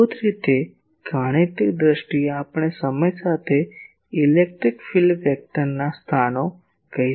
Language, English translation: Gujarati, Basically in mathematical terms we can say the locus of the electric field vector with time